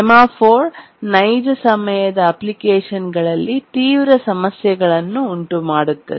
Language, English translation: Kannada, The semaphore causes severe problems in a real time application